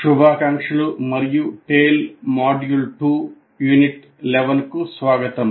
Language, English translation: Telugu, Greetings and welcome to Tale module 2 Unit 11